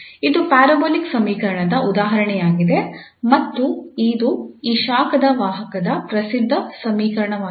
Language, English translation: Kannada, Well, so this is the example of an parabolic equation and this is well known equation of this heat conduction